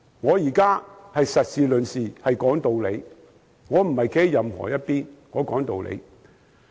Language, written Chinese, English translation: Cantonese, 我現在是以事論事，講道理，不是站在任何一方。, I am now discussing the issue on its own merits and trying to reason it out rather than taking sides